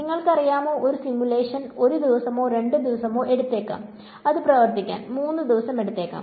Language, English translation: Malayalam, You know a simulation may take 1 day or 2 and it may take 3 days to run